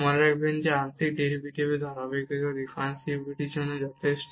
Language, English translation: Bengali, Remember that the continuity of partial derivatives is sufficient for differentiability